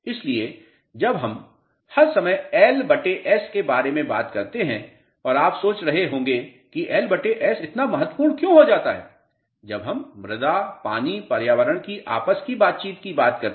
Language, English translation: Hindi, So, when we have been talking about L by S all the time and you must be wondering why L by S becomes so important when we talk about soil water environment interaction